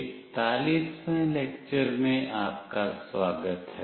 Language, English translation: Hindi, Welcome to lecture 41